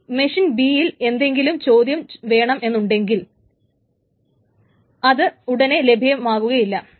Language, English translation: Malayalam, Now if machine B wants to query it, it is not immediately available